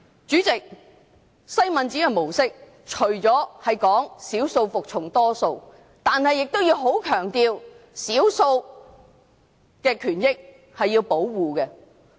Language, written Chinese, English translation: Cantonese, 主席，西敏寺的模式除了是少數服從多數外，亦十分強調要保護少數的權益。, President apart from upholding the principle that the minority is subordinate to the majority the Westminster model also stresses that the rights of the minority should be safeguarded